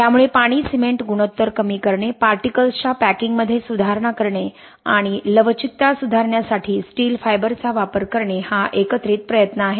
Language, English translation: Marathi, So it is a combined effort of reducing the water cement ratio, improving the particle packing and using steel fibers to improve the ductility